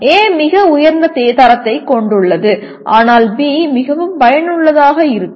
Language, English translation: Tamil, A has the highest quality but B is more effective